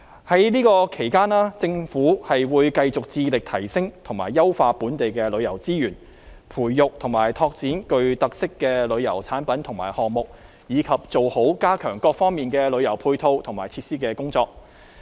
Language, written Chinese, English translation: Cantonese, 在這期間政府會繼續致力提升和優化本地旅遊資源，培育和拓展具特色的旅遊產品和項目，以及做好加強各方面旅遊配套和設施的工作。, During this period the Government will continue to endeavour to upgrade and improve local tourism resources to nurture and develop tourism products and initiatives with unique features and to enhance the tourism supporting facilities